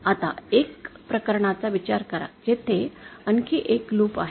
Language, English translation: Marathi, Now consider a case where there is additional another loop